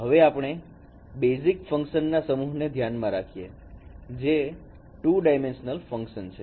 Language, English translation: Gujarati, And let us consider a set of basis functions which are also a two dimensional functions